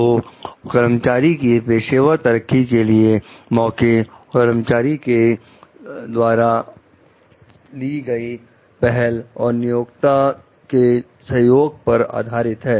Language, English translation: Hindi, So, opportunity for professional growth of the employees, based on the employee s initiation and employer s support